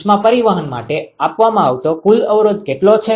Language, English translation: Gujarati, What is the total resistance offered for heat transport